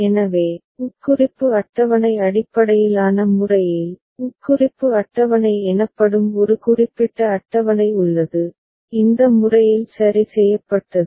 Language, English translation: Tamil, So, in the Implication table based method we have a particular table called Implication table, made in this manner ok